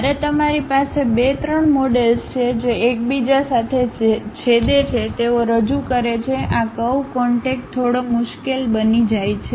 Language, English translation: Gujarati, When you have two, three models which are intersecting with each other; they representing these curves contacts becomes slightly difficult